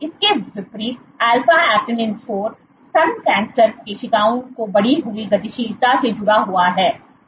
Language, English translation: Hindi, In contrast alpha actinin 4 is associated with enhanced motility of breast cancer cells